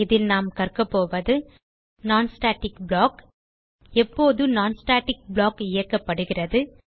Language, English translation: Tamil, In this tutorial we will learn About non static block When a non static block executed